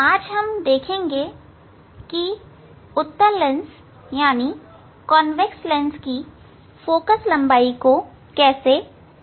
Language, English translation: Hindi, Today we will demonstrate how to measure the Focal Length of a Convex Lens